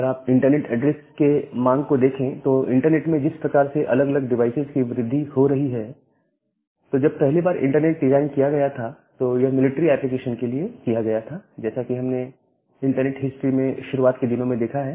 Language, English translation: Hindi, So, if you look into the demand of internet addresses as there is with the grow of different devices in the internet; so, when the internet was first designed it was meant for military applications, as we have looked into the early days of internet history